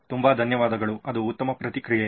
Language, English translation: Kannada, Thank you very much that was a great feedback